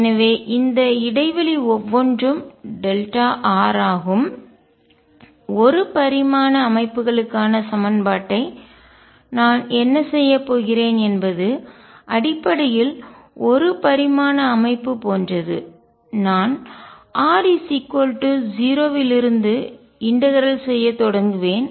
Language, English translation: Tamil, So, each of this interval is delta r and what I will do like the equation for one dimensional systems essentially a one dimensional like system, I will start integrating from r equals 0 onwards start integrating from r equals R inwards and somewhere in between I will match the solution